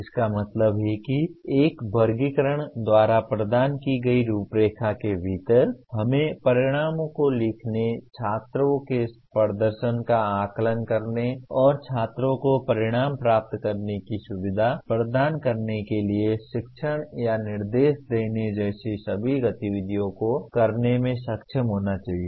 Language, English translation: Hindi, That means within the framework provided by one taxonomy we should be able to perform all the activities namely writing outcomes, assessing the student performance and teaching or instruction to facilitate the students to achieve the outcomes